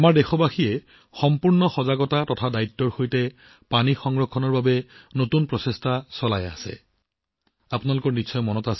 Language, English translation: Assamese, Our countrymen are making novel efforts for 'water conservation' with full awareness and responsibility